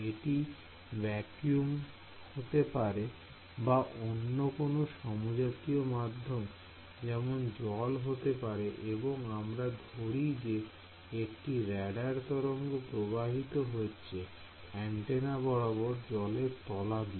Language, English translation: Bengali, It may vacuum or it may be some homogeneous medium like water or something let us say you have a radar wave travelling under water and antenna under water